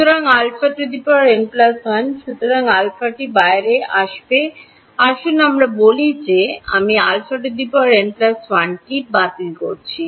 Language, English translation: Bengali, So, alpha to the power n minus 1, so this alpha will come outside let us say I am cancelling alpha to the n minus 1